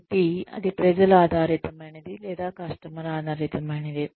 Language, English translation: Telugu, So, that would be people oriented, or customer oriented